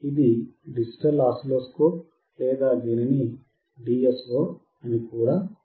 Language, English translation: Telugu, This is digital oscilloscope or it is also called DSO